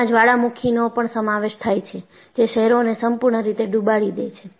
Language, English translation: Gujarati, And, there have also been volcanoes, which totally submerge the cities